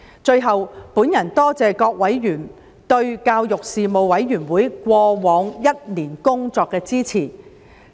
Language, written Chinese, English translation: Cantonese, 最後，我多謝各委員對事務委員會過往一年工作的支持。, Finally I thank members for supporting the work of the Panel in the last year